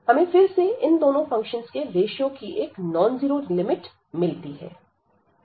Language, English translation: Hindi, So, again we are getting a non zero limit here as the ratio of these two functions